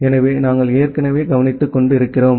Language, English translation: Tamil, So, that we have already looked into